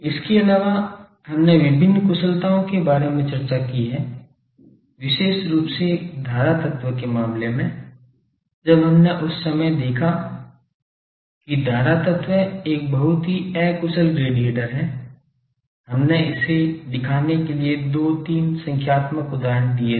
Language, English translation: Hindi, Also we have discussed the various this efficiencies, particularly in case of the current element that time we have seen that the current element is a very inefficient radiator, we have taken two three numerical examples to show that